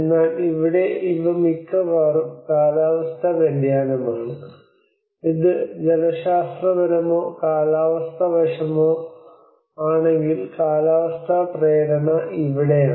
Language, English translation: Malayalam, But whereas here it is going almost these are climatically whether it is a hydrological or meteorological aspects so this is where the climate induced